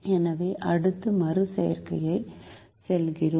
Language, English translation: Tamil, so we move to the next iteration